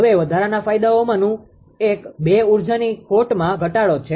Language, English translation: Gujarati, Now additional advantages one is reduce energy losses